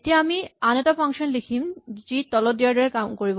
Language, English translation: Assamese, Now, we are going to write another function which will do the following